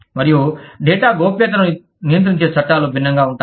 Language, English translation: Telugu, And, the laws governing data privacy, are different